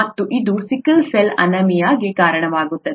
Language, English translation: Kannada, And that results in sickle cell anaemia